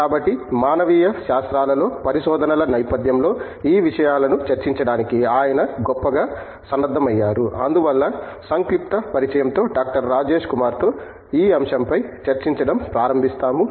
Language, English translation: Telugu, So, he is eminently equipped to discuss these issues in the context of research in the humanities and so, with that brief introduction we will start with discussing this topic with Dr